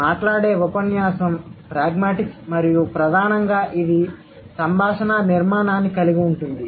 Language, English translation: Telugu, The spoken discourse pragmatics and primarily it involves the conversational structure